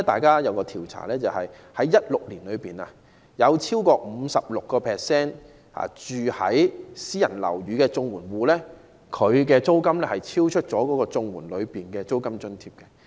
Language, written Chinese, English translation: Cantonese, 有一項調查顯示，在2016年，超過 56% 住在私人樓宇的綜援戶，其租金超出綜援的租金津貼。, According to a survey in 2016 over 56 % of the CSSA recipients living in private housing are paying rentals exceeding the rent allowance under CSSA